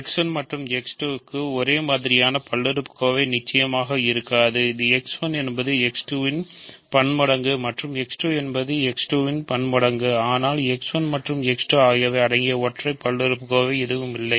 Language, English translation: Tamil, Same polynomial will not do for X 1 and X 2 X 1 of course, is a multiple of X 1 and X 2 is a multiple of X2, but there is no single polynomial whose multiples include X1 and X2